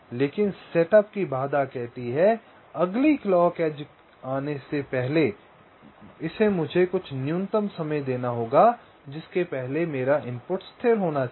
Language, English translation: Hindi, but the setup constraints says that before the next clock edge comes, so i must be giving some minimum time before which the input must be stable